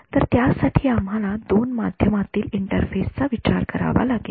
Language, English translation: Marathi, So for that we have to consider the interface between two media